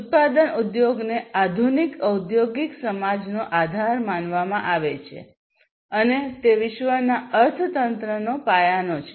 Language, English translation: Gujarati, So, a manufacturing industry is considered as a base of modern industrial society and is the cornerstone of the world economy